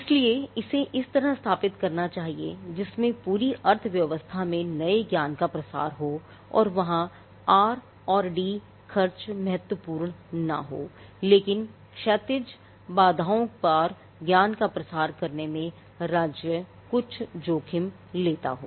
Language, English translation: Hindi, So, in whatever way it is set up it should be set up in a way in which there is diffusion of new knowledge throughout the economy and there it is not just R and D spending that is important, but this dissemination of knowledge across horizontal barriers the state does take some risk